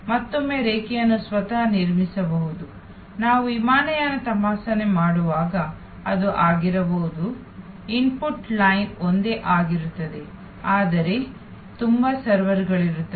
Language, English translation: Kannada, And again the line itself can be constructed, that it can be like when we do airline checking, that the input line is the same, but there are multiple servers